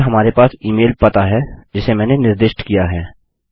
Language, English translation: Hindi, And we have the email address that I specified from